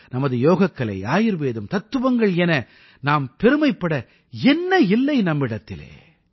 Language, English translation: Tamil, We have a lot to be proud of…Our yoga, Ayurveda, philosophy and what not